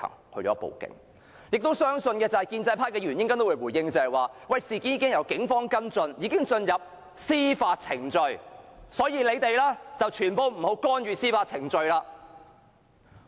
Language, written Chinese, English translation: Cantonese, 我亦相信建制派議員稍後也會回應，指事件已交由警方跟進，進入司法程序，所以我們不要干預司法程序。, I also believe that when pro - establishment Members respond later they will say that since the Police are following up the matter and legal proceedings have commenced we should not interfere